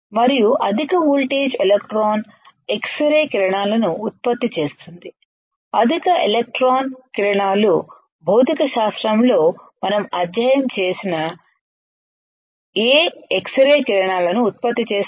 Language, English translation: Telugu, and high voltage electron may generate x rays high electron beams generates what x rays with this we have studied in physics right